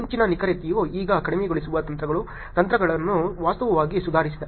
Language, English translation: Kannada, In earlier the accuracy which lower now the techniques, technologies that are actually improved